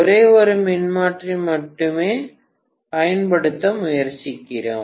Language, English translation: Tamil, I am trying to use only one single transformer